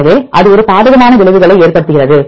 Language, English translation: Tamil, So, it has adverse effects